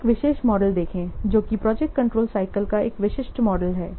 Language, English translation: Hindi, So, this is how a model of the project control cycle looks